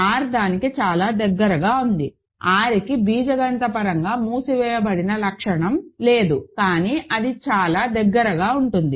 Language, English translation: Telugu, R is very close to that, R does not quite have the property of being algebraically closed, but it is very close